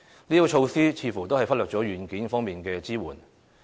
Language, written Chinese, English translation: Cantonese, 這些措施似乎都忽略了"軟件"方面的支援。, It seems that the Government has neglected the software required for supporting these initiatives